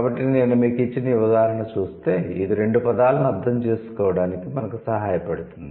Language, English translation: Telugu, So, this, the hand example that I gave you that would help us to understand two terms